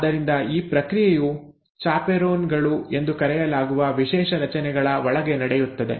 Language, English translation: Kannada, So, that processing happens inside special structures which are called as chaperones